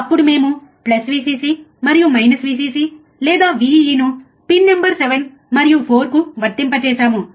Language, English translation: Telugu, Then we have applied plus Vcc, right and minus Vcc or Vee to the pin number 7 and 4, right